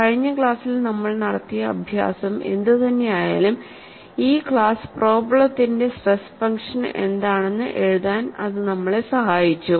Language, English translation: Malayalam, Whatever the exercise that we did in the last class has helped us to write what is the stress function for this class of problem, and the stress function turns out to be like this